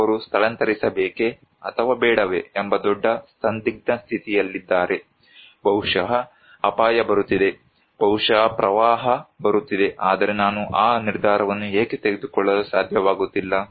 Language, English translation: Kannada, He is in under great dilemma whether to evacuate or not, maybe risk is coming, maybe flood is coming but I simply cannot make that decision why